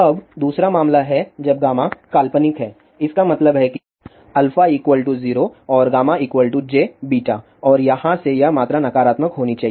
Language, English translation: Hindi, Now the second case is when gamma is imaginary ; that means, alpha is 0 and gamma is equal to j beta and from here this quantity should be negative